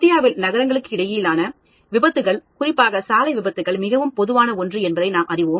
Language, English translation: Tamil, Accidents between cities, as you know road accidents are very common and quite prevalent in India